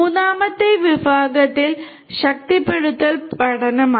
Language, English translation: Malayalam, The third category is the reinforcement learning